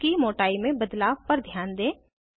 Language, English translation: Hindi, Note the change in the thickness of the bonds